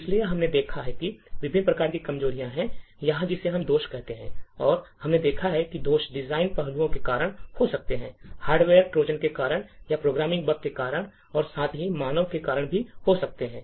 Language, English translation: Hindi, So, we have seen that there are different types of such vulnerabilities or what we call as a flaws and we have seen that the flaws could occur due to design aspects, due to hardware Trojans or due to programming bugs as well as due to the human factor